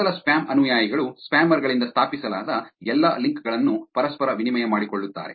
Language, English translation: Kannada, Top spam followers tend to reciprocate all links established to them by spammers